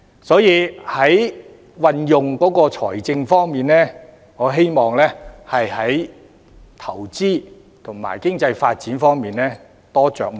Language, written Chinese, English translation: Cantonese, 所以，就運用財政而言，我希望政府會在投資及經濟發展方面多着墨。, Therefore as far as the use of financial resources is concerned I hope that the Government puts more emphasis on investment and economic development